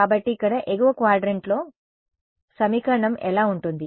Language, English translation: Telugu, So, in the upper quadrant over here, what will the equation be